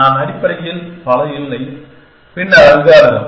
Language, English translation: Tamil, I am not too many essentially and then algorithm